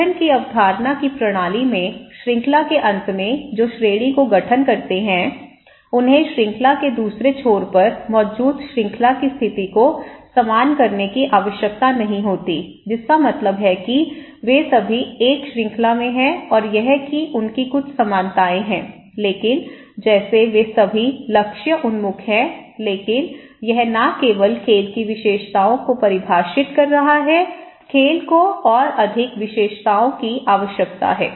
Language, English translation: Hindi, In all these system of concept of formation, items one end of the chain that constitute a category need not to have any conditions in common with those at the other end that means, that they all are in a sense and that they have some commonalities but and like they all are goal oriented okay but that is not only defining the characteristics of the game, game needs to be more characteristics